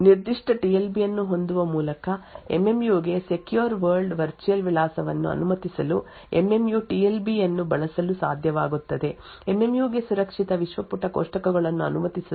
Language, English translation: Kannada, By having this particular TLB The MMU would be able to use the TLB to allow secure world virtual address for MMU would be able to use the TLB to permit a secure world page tables to access normal world page on the other hand it can also prevent a normal world page table from accessing a secure world page